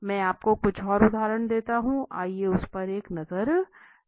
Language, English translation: Hindi, I give you some further examples, let us have a look at it, so it says